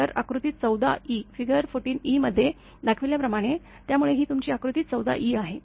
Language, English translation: Marathi, So, as shown in figure 14 e; so, this is your figure 14 e